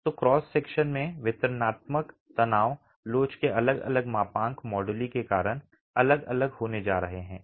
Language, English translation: Hindi, So, the cross section, the distribution of stresses is going to be different because of different moduli of elasticity